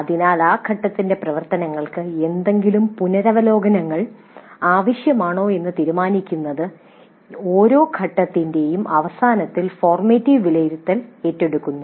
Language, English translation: Malayalam, So, the formative evaluation is taken up at the end of every phase to decide whether any revisions are necessary to the activities of that phase